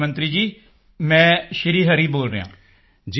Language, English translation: Punjabi, Prime Minister sir, I am Shri Hari speaking